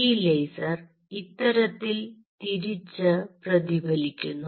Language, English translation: Malayalam, this laser will bounce back like this